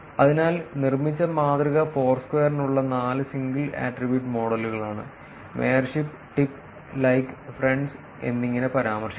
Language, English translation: Malayalam, So, the model that was built was four single attribute models for Foursquare, referred to as mayorship, tip, like and friends